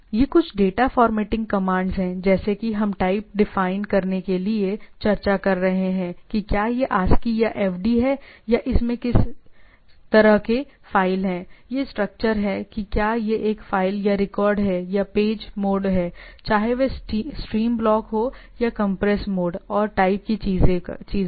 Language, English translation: Hindi, These are some of the data formatting commands as we are discussing TYPE to define whether it is ASCII or FD or what sort of file is there it STRUCTURE whether it is a file or record or page MODE whether it is stream block or compress mode and type of things